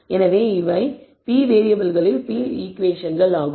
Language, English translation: Tamil, So, these are p equations in p variables